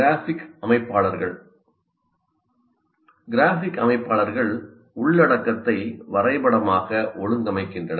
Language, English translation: Tamil, Graphic organizers merely organize the content graphically